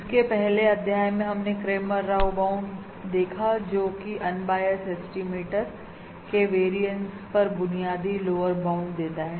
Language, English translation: Hindi, In the previous module we have looked at the Cramer Rao bound, which provides a fundamental lower bound on the variance of an unbiased estimator